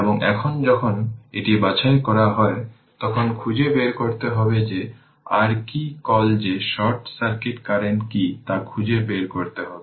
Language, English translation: Bengali, And when it is now when it is sorted, we have to find out that ah your what you call that what is the short circuit current that we have to find it out